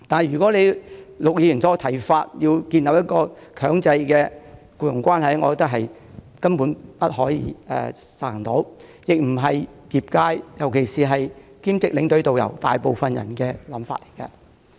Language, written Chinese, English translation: Cantonese, 如果按照陸頌雄議員的建議，建立強制性的僱傭關係，我認為根本不可行，亦不是業界大部分從業員的意願。, It is unfeasible in my view to establish a mandatory employment relationship as proposed by Mr LUK Chung - hung; this proposal is also against the wish of most practitioners in the trade